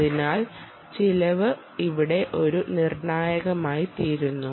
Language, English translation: Malayalam, so cost becomes a critical here